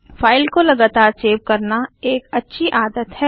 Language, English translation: Hindi, It is a good practice to save the file frequently